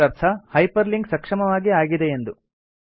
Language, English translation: Kannada, This means that the hyperlinking was successful